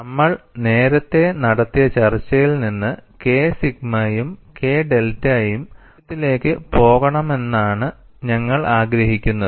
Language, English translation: Malayalam, And from the discussion we have done earlier, what we are really looking at is, we want to see K sigma plus K delta should go to 0